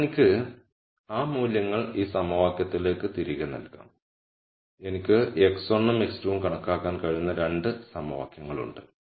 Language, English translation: Malayalam, Then I could substitute those values back into this equation and I have 2 equations I can calculate x 1 and x 2